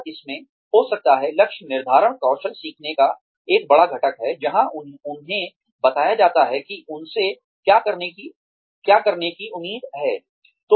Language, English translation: Hindi, And in this, they maybe, goal setting is one big ingredient of skill learning, where they are told, what they are expected to do